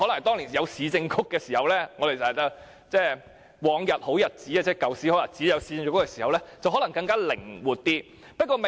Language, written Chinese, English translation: Cantonese, 當年有市政局時——即我們常提及的過往好日子——年宵市場由市政局負責，做法可能更靈活而已。, During the good old days when there was the Urban Council the Urban Council was responsible for organizing the Lunar New Year Fair and its approach might be more flexible